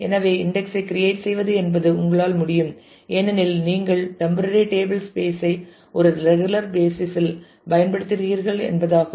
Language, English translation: Tamil, So, that you can because creating the index means you are will be using the temporary tablespace on a on a regular basis